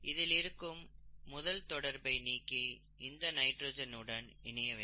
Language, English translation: Tamil, This one needs to be removed and this one needs to go and attach to nitrogen here